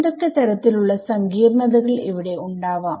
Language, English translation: Malayalam, What kind of complications might be here